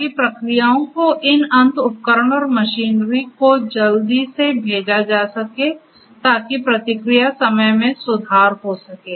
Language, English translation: Hindi, So, that the responses can be sent to these end equipment and machinery quickly so, the response time could be improved